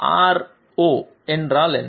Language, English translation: Tamil, What is R0